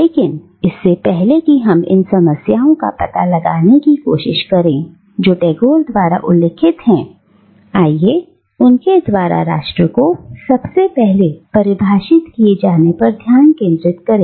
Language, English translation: Hindi, But before we start exploring these problems, that Tagore mentions, let us pay attention to how he defines nation in the first place